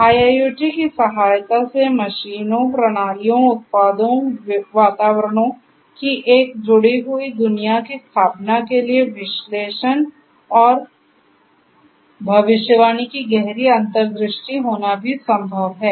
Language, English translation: Hindi, It is also possible to have deeper insights of analysis and prediction, establishing a connected world of machines, systems, products, environments with the help of IIoT